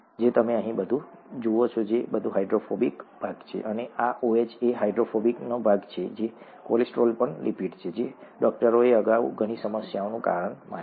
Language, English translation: Gujarati, You see all this here, all this is the hydrophobic part, and this OH is the hydrophilic part, okay, and the cholesterol is also a lipid that doctors thought caused so many problems earlier